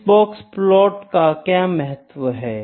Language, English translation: Hindi, So, what is the significance of box plot